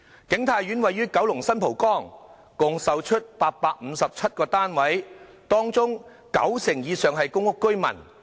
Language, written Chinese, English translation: Cantonese, 景泰苑位於九龍新蒲崗，共售出857個單位，當中九成以上是公屋居民。, A total of 857 units in King Tai Court were sold with over 90 % of them being sold to PRH residents